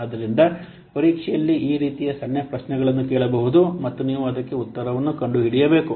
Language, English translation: Kannada, So in the examination, some these types of small questions might be asked and you have to find out the answer